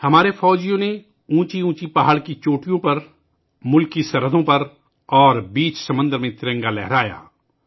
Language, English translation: Urdu, Our soldiers hoisted the tricolor on the peaks of high mountains, on the borders of the country, and in the middle of the sea